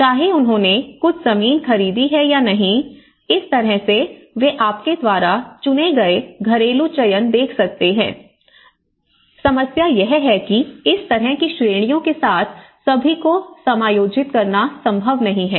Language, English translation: Hindi, So, whether they have procured some land or not, so in that way, they could able to see the household selections you know and but the problem is, with this kind of categories, itís not possible to accommodate everyone